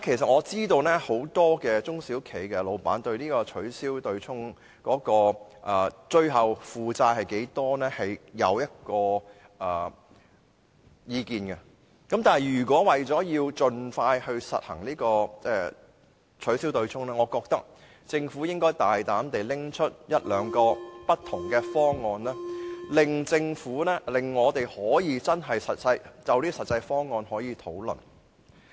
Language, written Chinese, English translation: Cantonese, 我知道現時很多中小企的僱主，對於他們在取消對沖之後的負擔多少存有意見，但為了盡快實行取消對沖，我認為政府應大膽提出一兩個不同的方案，讓我們可以就實際方案進行討論。, I know that many employers of SMEs now have strong opinions about the burden they have to bear upon the abolition of the offsetting mechanism . Yet to enable the early abolition of the offsetting mechanism I think the Government should boldly put forth a couple of proposals for discussion to be carried out in a pragmatic direction